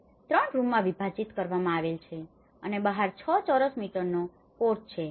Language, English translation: Gujarati, Divided into 3 rooms with a porch measuring of 6 square meter outside